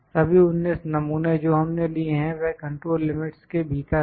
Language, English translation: Hindi, All the 19 samples that we have taken they are within control